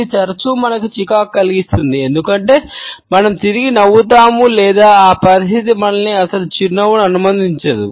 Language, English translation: Telugu, So, it can be often irritating to us, because either we are trapped into smiling back or the situation does not allow us to a smile at all